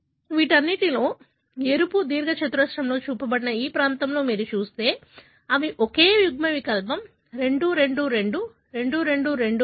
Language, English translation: Telugu, In all these, if you look in this region that is shown within red, rectangle, you will find they carry the same allele, 2 2 2 2 2 2 3